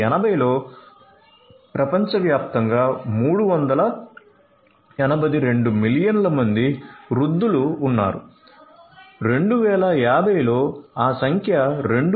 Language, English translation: Telugu, In 1980, there were 382 million you know elderly persons over the world, in 2050 that number is going to grow to 2